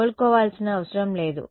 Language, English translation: Telugu, no need to recover